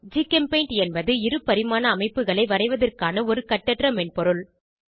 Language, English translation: Tamil, GchemPaint is an Open source software for drawing 2D chemical structures